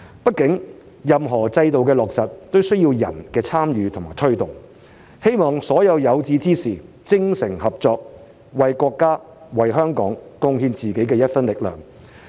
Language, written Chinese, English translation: Cantonese, 畢竟，任何制度的落實也需要人的參與和推動，希望所有有志之士精誠合作，為國家、為香港貢獻自己的一分力量。, After all the implementation of any system requires the participation and promotion of people . I hope that all aspiring individuals will collaborate sincerely to contribute their part to the country and Hong Kong